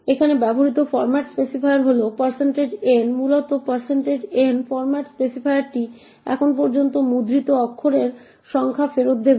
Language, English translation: Bengali, The format specifier used here is % n essentially this % n format specifier would return the number of characters printed so far